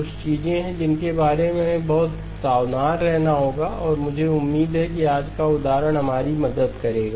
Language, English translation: Hindi, There are some things that we have to be very careful about and that is what I hope today's example will help us